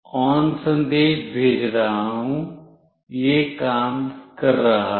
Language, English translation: Hindi, I am sending ON, it is working